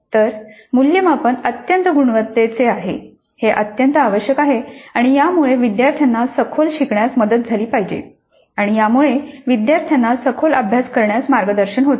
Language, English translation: Marathi, So it is absolutely essential that the assessment is of high quality and it should help the students learn deeply and it should guide the students into learning deeply